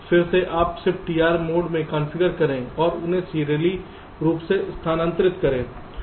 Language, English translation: Hindi, then again you configure in the shift d r mode and shift them out serially